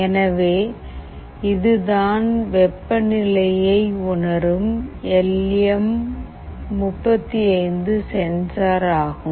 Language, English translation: Tamil, So, this is the temperature sensor, this temperature sensor is LM35 temperature sensor